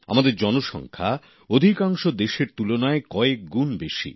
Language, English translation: Bengali, Our population itself is many times that of most countries